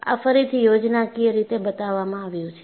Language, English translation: Gujarati, And this is again shown schematically